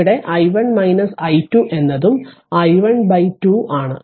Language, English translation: Malayalam, And here i 1 minus i 2 means it is also i 1 by 2